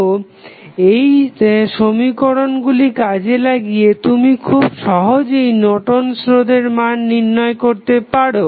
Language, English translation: Bengali, So, using these equations, you can easily find out the value of Norton's resistance